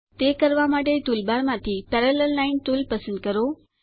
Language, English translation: Gujarati, To do this select the Parallel Line tool from the toolbar